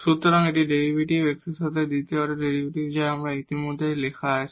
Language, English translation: Bengali, So, this is the derivative, the second order derivative with respect to x, which is already written there